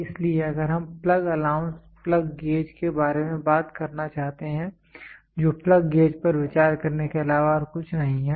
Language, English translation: Hindi, So, if we want to talk about plug allowance plug gauge, which is nothing but for consider plug gauge